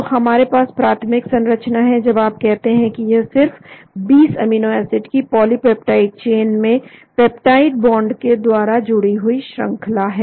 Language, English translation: Hindi, So we have the primary structure when you say it is only the 20 amino acids arranged in the polypeptide chain , by the peptide bond